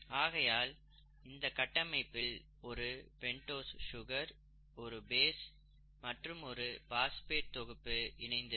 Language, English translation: Tamil, They have the structure, sugar, a pentose sugar, a base and a phosphate group or phosphate groups attached to it